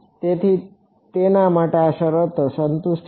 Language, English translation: Gujarati, So, for that on this conditions are satisfied